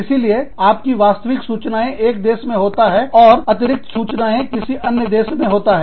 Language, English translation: Hindi, So, your actual information is in one country, and the backup information is in another country